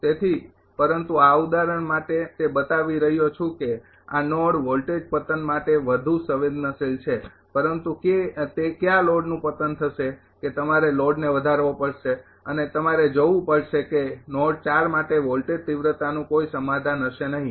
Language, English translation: Gujarati, So, but for these example it is showing that this node is more sensitive of voltage collapse, but which load it will be collapsing that you have to increase the load and you have to see when there will be no solution of the voltage magnitude for node 4 at that time it will be collapsing